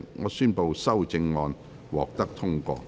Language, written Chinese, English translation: Cantonese, 我宣布修正案獲得通過。, I declare the amendments passed